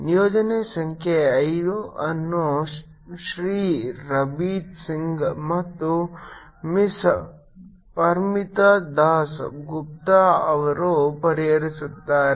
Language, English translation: Kannada, assignment number five will be solved by mr rabeeth singh and miss parmita dass gupta